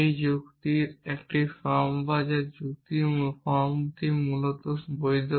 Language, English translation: Bengali, It is form of reasoning this form of reasoning is valid essentially